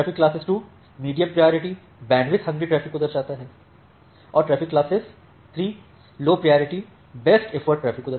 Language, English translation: Hindi, The traffic class 2 denotes the medium priority bandwidth hungry traffic and the traffic class denote the low priority best effort traffic